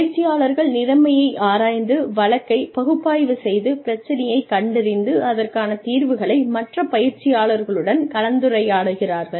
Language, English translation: Tamil, And, the trainees analyze the situation, and analyze the case, diagnose the problem, and present the findings and solutions, in discussion with other trainees